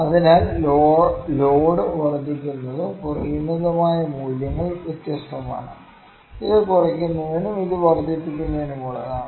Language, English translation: Malayalam, So, the load increasing and decreasing these values are different, this is for decreasing and this is for increasing